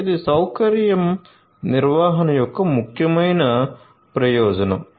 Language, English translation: Telugu, So, this is an important benefit of facility management